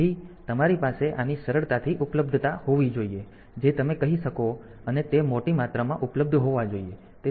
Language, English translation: Gujarati, So, you should have the these easily easy availability you can say and it is available in large amounts